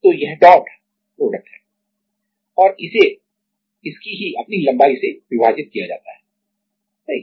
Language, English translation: Hindi, So, this is the dot product and this is divided by their own length, correct